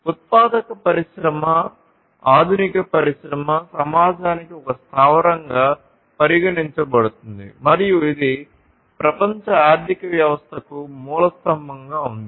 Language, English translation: Telugu, So, a manufacturing industry is considered as a base of modern industrial society and is the cornerstone of the world economy